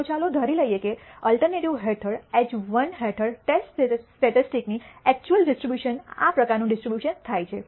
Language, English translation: Gujarati, So, let us assume that the actual distribution of the test statistic under h 1 under the alternative happens to be this kind of a distribution